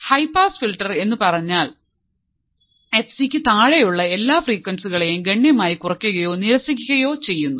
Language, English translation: Malayalam, A high pass filter is a filter that significantly attenuates or rejects all the frequencies below f c below f c and passes all frequencies above f c